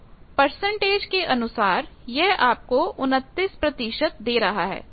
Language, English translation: Hindi, So, this is giving you that, percentage wise it is 29 percent